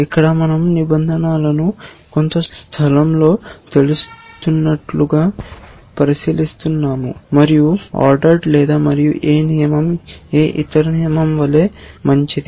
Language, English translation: Telugu, Here we are considering rules to be floating in some space and there is no order and any rule is as good as any other rule